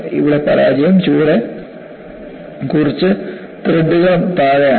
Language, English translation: Malayalam, Here, the failure has occurred a few threads below